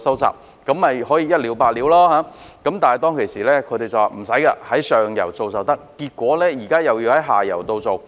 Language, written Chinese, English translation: Cantonese, 這樣便可以一了百了，但當時得到的答覆是無須這樣，只要在上游做便可以，但結果現時又要在下游再做。, This could put things right once and for all . But the answer I received at that time was that there was no need to do so . It would be fine as long as the work was done upstream